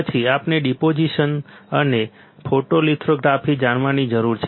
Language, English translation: Gujarati, Then we need to know deposition and photolithography